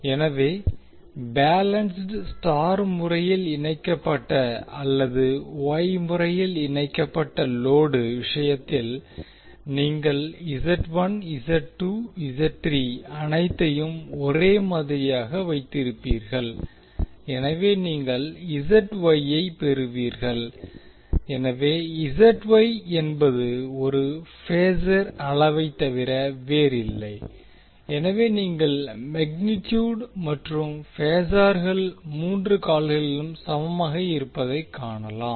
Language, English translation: Tamil, So in case of balanced star connected or wye connected load you will have Z1, Z2, Z3 all same so you will have ZY, so ZY is nothing but a phasor quantity so you will see the magnitude as well as phase both are same in all the three legs